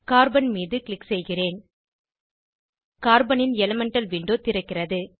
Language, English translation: Tamil, I will click on Carbon Elemental window of Carbon opens